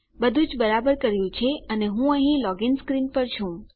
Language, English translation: Gujarati, Everything has worked out fine and I am at the login screen here